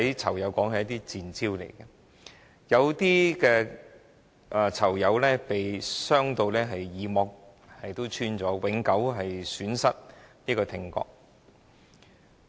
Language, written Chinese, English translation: Cantonese, 囚友說這些都是"賤招"，有些囚友甚至耳膜破裂，永久損失聽覺。, Inmates said that these were cheap tactics and some inmates even suffered from eardrum rupture and permanent hearing loss